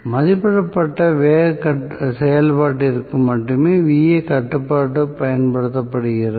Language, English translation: Tamil, So, Va control is also used only for below rated speed operation